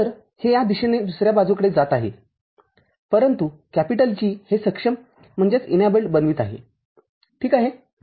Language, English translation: Marathi, So, this is just going from this side to the other side, but G is what is making it enabled ok